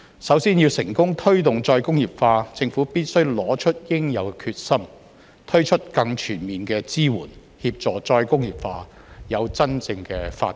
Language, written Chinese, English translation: Cantonese, 首先，要成功推動再工業化，政府必須拿出應有的決心，推出更全面的支援，協助再工業化有真正的發展。, First to successfully promote re - industrialization the Government have shown the necessary determination and provide more comprehensive support to facilitate the genuine development of re - industrialization